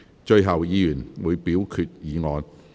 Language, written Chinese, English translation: Cantonese, 最後，議員會表決議案。, Finally Members will vote on the motion